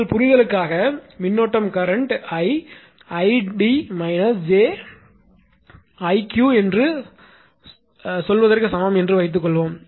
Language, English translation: Tamil, For your understanding, suppose the current is ah I is equal to say id minus j i or I q right